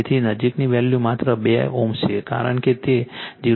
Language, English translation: Gujarati, So, closest value is 2 ohm only, because as it is 0